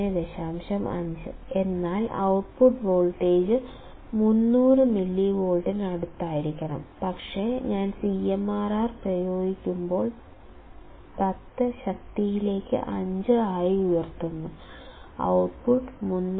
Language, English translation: Malayalam, 5; the output voltage should be close to 300 millivolts, but when I use CMRR equal to 10 raised to 5; the output was 300